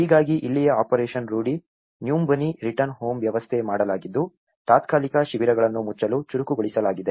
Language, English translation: Kannada, So, this is where the operation rudi nyumbani return home has been set up and it has been accelerated to close the temporary camps